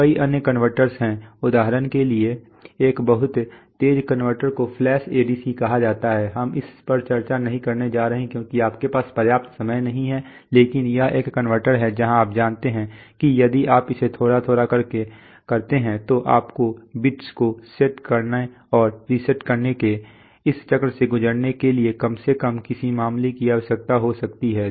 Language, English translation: Hindi, Just one way there are many various other converters, for example a very fast converter is called flash ADC, we are not going to discuss that because you do not have enough time but this is a converter where you know there if, you do it bit by bit so you need at least what case you can need n times you can go through this cycle of setting and resetting bits